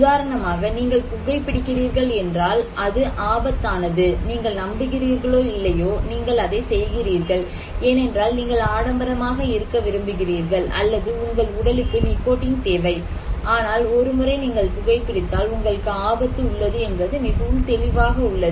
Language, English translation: Tamil, For example here, if you are smoking you are at risk, you believe or not you may be doing it because you want to be macho, or your body needs nicotine, but once you were smoking you are at risk that is very clear